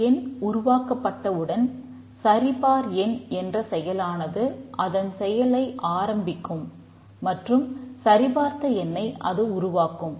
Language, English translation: Tamil, Once the number is produced, the validate number starts to perform its activity and it produces the valid number